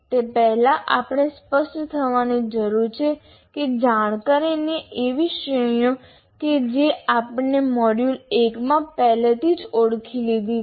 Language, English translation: Gujarati, Before that, we need to be clear that there are categories of knowledge that we have already identified in module one